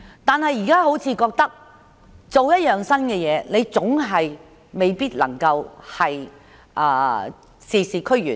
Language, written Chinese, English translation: Cantonese, 但是，現在他們可能覺得每做一樣新事情總是未必能事事俱圓。, However they may feel that whatever new initiatives they make it may fail to obtain the satisfactory result